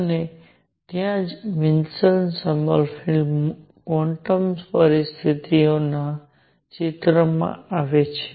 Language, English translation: Gujarati, And that is where Wilson Sommerfeld quantum conditions come into the picture